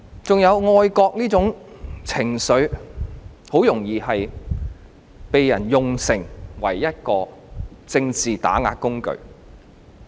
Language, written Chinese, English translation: Cantonese, 還有愛國這種情緒，很容易被人用作一個政治打壓的工具。, Also patriotic sentiments are vulnerable to be used as a tool of political oppression